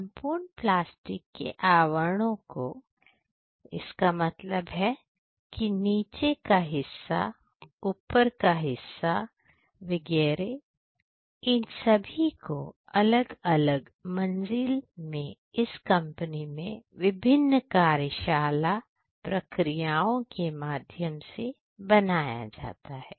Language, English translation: Hindi, So, the entire plastic casing; that means, the bottom part as well as the top part the lid all of these are made in the different floor through the different workshop processes in this company